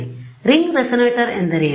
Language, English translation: Kannada, So, what is the ring resonator